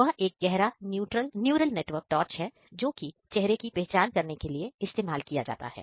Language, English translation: Hindi, That deep it is a deep neural network torch in a framework named torch which is being used for the facial recognition